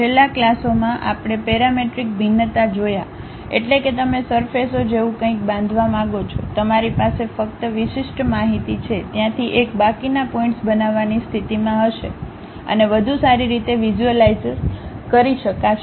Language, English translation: Gujarati, In the last classes, we have seen parametric variations means you want to construct something like surfaces, you have only discrete information, from there one will be in aposition to really construct remaining points and visualize in a better way